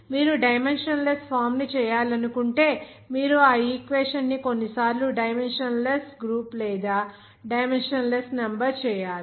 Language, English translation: Telugu, You have to that made this dimensionless form and that equation to be sometimes to convert it into a dimensionless group or dimensionless number